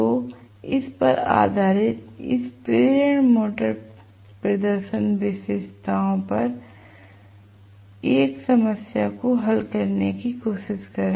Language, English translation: Hindi, So, based on this let me try to work out 1 problem on this or the induction motor you know performance characteristics